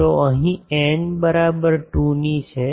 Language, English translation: Gujarati, So, here n is equal to 2